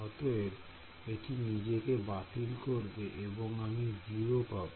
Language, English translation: Bengali, So, it will cancel off I will get 0